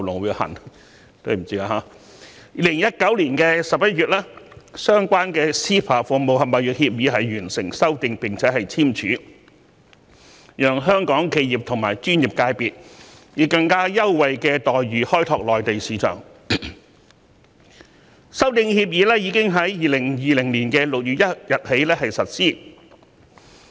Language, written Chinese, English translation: Cantonese, 2019年11月，相關的 CEPA《服務貿易協議》完成修訂並簽署，讓香港企業及專業界別能以更優惠待遇開拓內地市場，修訂協議更已於2020年6月1日開始實施。, The Amendment Agreement was signed in November 2019 under the framework of CEPA to give Hong Kong enterprises and professional sectors more preferential treatment to tap into business opportunities in the Mainland market and it came into effect on 1 June 2020